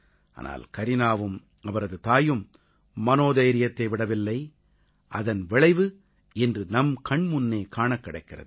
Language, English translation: Tamil, But Kareena and her mother did not lose courage and the result of that fortitude is evident in front of all of us today